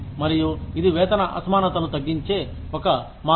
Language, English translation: Telugu, And, that is one way of reducing, this pay disparity